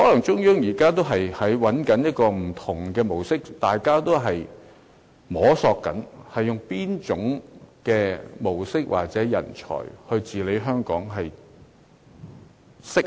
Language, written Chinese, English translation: Cantonese, 中央政府可能仍在摸索不同模式，究竟應用哪種模式或哪種人才治理香港才最適合。, Perhaps the Central Government is still exploring with different models in order to decide which model or which kind of talent is most suitable for administration Hong Kong